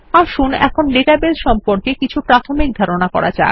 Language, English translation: Bengali, Let us now learn about some basics of databases